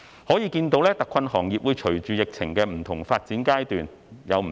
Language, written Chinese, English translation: Cantonese, 可見特困行業會隨着疫情的不同發展階段而有所不同。, It is evident that hard - hit industries do change with the different stages of the epidemic